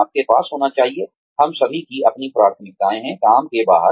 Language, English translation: Hindi, You need to have; we all have our own priorities, outside of work